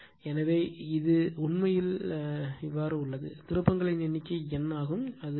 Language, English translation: Tamil, So, this is actually here it is number of turns is N, it is I right